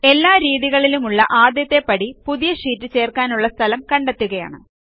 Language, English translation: Malayalam, The first step for all of the methods is to select the sheet next to which the new sheet will be inserted